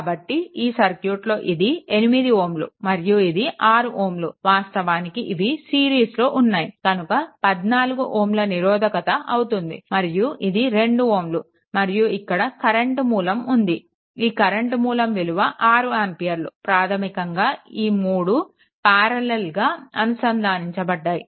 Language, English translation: Telugu, So, this is this is your 8 ohm and 6 ohm basically they are in series and the and with that and that means, this is your 14 ohm right and this is your 2 ohm, and with that this current source is there, this current source is there 6 ampere basically this all this 3 things are in parallel right